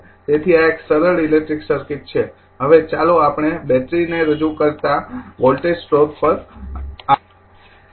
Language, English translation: Gujarati, So, this is a simple electric circuit now let us come to the voltage source representing a battery